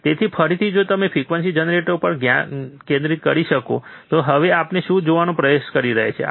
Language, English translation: Gujarati, So, again if you can focus back on the frequency generator, what we are now trying to do